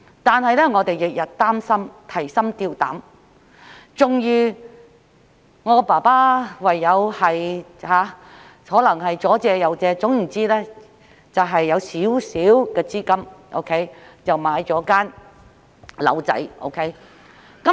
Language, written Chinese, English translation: Cantonese, 但是，我們每天都提心吊膽，終於我父親唯有四出借錢，最後籌得小量資金，便買了一間細小的房屋。, We lived in anxiety every day . Ultimately my father had to borrow money from various sources and was able to raise a small sum of money and bought a small flat